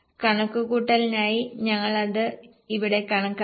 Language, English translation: Malayalam, Just for the sake of calculation we'll calculate it here